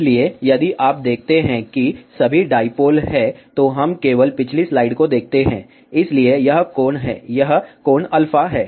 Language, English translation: Hindi, So, if you see that all the dipole, let us just look at the previous slide, so this is the angle, this is the angle alpha